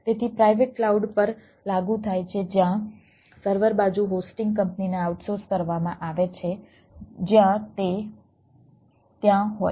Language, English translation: Gujarati, so applies to private cloud where the server side is outsource to the hosting company, wherever its it is there